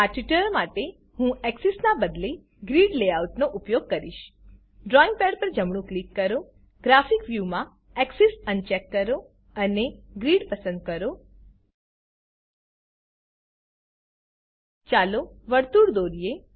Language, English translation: Gujarati, For this tutorial I will use Grid layout instead of Axes Right Click on the drawing pad In the Graphic view uncheck Axes Select Grid Lets draw a circle